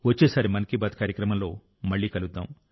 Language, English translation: Telugu, Next time we will again have 'Mann Ki Baat', shall meet with some new topics